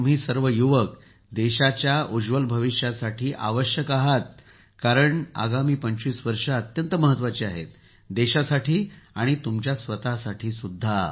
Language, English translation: Marathi, And all of you youth should strive for the country's bright future, because these 25 years are very important for your life as well as for the life of the country, I extend my best wishes to you